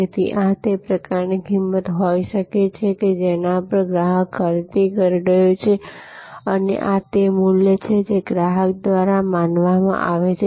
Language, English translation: Gujarati, So, this can be kind of the price at which the customer is buying and this is the value as perceived by the customer